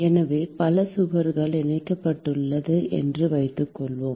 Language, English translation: Tamil, So, supposing there are multiple walls which are associated